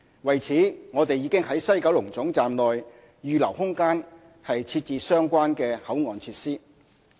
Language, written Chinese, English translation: Cantonese, 為此，我們已在西九龍總站內預留空間設置相關的口岸設施。, In this connection we have reserved space at WKT for the relevant CIQ facilities